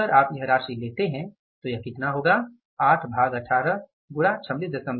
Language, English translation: Hindi, 5 so if you take this amount this will work out as 8 divided by 18 and 26